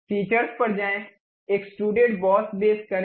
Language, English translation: Hindi, Go to features, extrude boss base